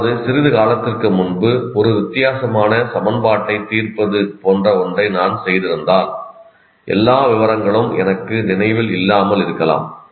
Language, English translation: Tamil, That means, if I have done something solved a differential equation quite some time ago, I may not remember all the details